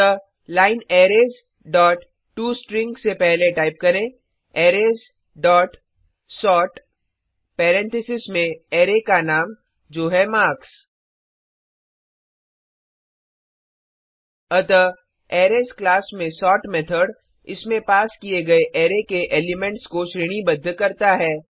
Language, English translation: Hindi, So before the line Arrays dot toString type Arrays dot sort within parenthesis the Array name i.e marks So the sort method in the Arrays class, sorts the elements of the array passed to it